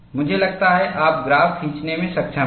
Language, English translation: Hindi, I suppose, you have been able to draw the graph and it is very simple